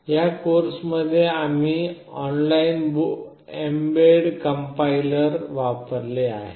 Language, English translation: Marathi, In this particular course we have used this online mbed compiler